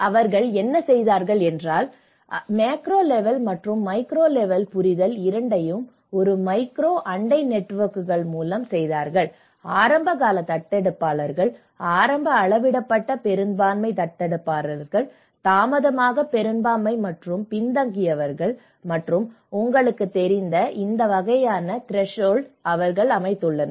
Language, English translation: Tamil, And what they did was; they did both the micro level and the macro level understanding where with a micro neighbourhood networks, they set up this kind of threshold you know the which have the early adopters, early measured majority adopters, late majority and laggards and these threshold; what are these threshold; very low threshold, low threshold, high threshold, very high threshold